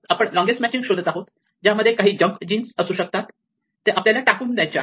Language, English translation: Marathi, So, what we are looking for are large matches, where there might be some junk genes in between which you want to discard